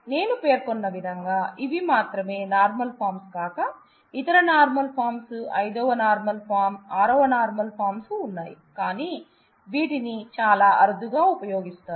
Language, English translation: Telugu, So, as I mentioned there are actually these are not the only forms, there are various other normal forms as well and fifth normal form, 6 normal form and so on, but it is very rarely these are very rarely used